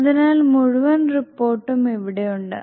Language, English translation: Malayalam, So here the entire report is